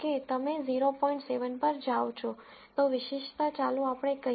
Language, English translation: Gujarati, 7 then the, specificity is, let us say this is 0